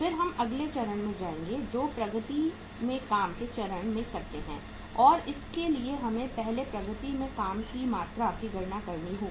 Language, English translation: Hindi, Then we will go to the next stage that work in progress stage and for that we will have to calculate the amount of work in progress first